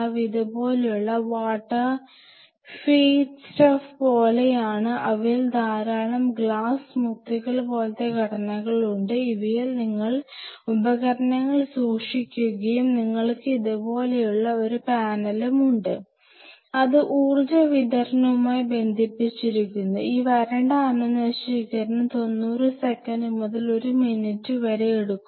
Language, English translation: Malayalam, So, these have these are sterilizer something like this they are small like water feet stuff like this and there are lot of glass bead kind of a stuff in them and you keep the instruments in it and you have a panel like this, and it is connected to the power supply and this dry sterilization takes around 90 seconds to a minute